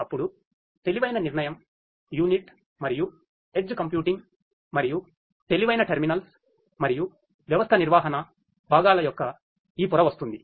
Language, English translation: Telugu, Then comes this layer of intelligent decision unit and edge computing, and the intelligent terminals, and system management components